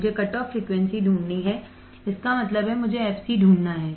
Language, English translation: Hindi, I have to find the cutoff frequency; that means, I have to find fc